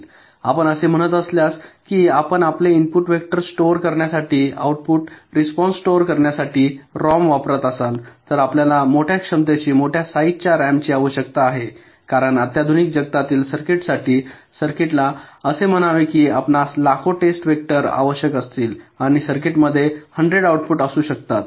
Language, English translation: Marathi, if you are saying that you will be using a rom to store your input vector, to store your output response, you need ah rom of a very large capacity, large size, because for a modern this circuits circuits let say you made a requiring millions of test vectors and and in the circuit there can be hundreds of outputs